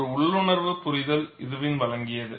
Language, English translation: Tamil, The intuitive understanding was provided by Irwin